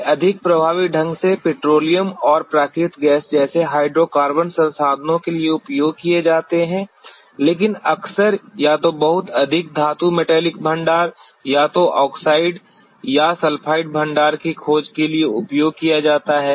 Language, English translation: Hindi, They are more effectively utilized for hydrocarbon resources like petroleum and natural gas, but often or very infrequently used for exploration of metal metallic deposits either oxide or sulfide deposits